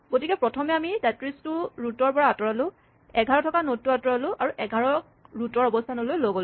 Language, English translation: Assamese, So, we first remove the 33 from the root, we remove the node containing 11 and we move the 11 to the position of the root